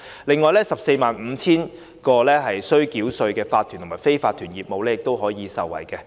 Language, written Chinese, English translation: Cantonese, 此外 ，145,000 個須繳稅的法團及非法團業務亦可受惠。, In addition 145 000 tax - paying corporations and unincorporated businesses will also benefit